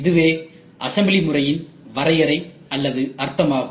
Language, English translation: Tamil, This is what is definition or the meaning for assembly process